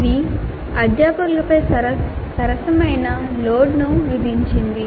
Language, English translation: Telugu, It imposed fair amount of load on the faculty